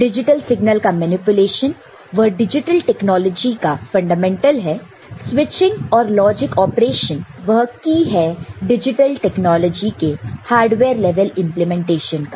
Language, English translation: Hindi, Manipulation of digital signal is fundamental to digital technology; switching and logic operations are key to key at hardware level implementation of digital technology